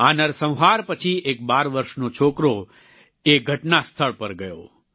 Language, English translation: Gujarati, Post the massacre, a 12 year old boy visited the spot